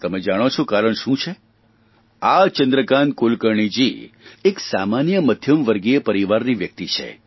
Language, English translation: Gujarati, Shri Chandrakant Kulkarni is an ordinary man who belongs to an average middle class family